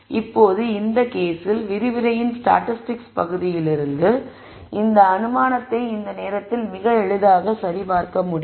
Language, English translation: Tamil, Now, in this case, this assumption can quite easily be verified right at this point from your statistics part of the lecture